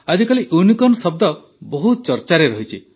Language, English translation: Odia, These days the word 'Unicorn' is in vogue